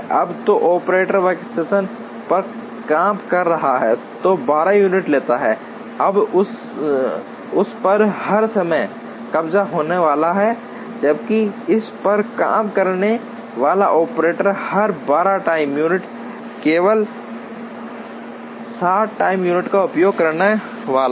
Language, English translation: Hindi, Now, the operator who is working on the workstation, which takes 12 units is going to be occupied all the time, whereas the operator who works on this is going to use only 7 time units, for every 12 time units